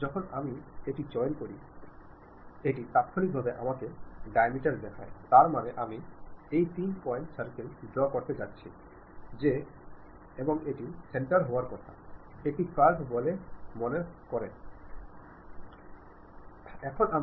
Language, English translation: Bengali, When I pick that, it immediately shows me diameter, that means, even though I am going to draw three point circle saying that this is supposed to be the center, this is supposed to the curve which supposed to pass through that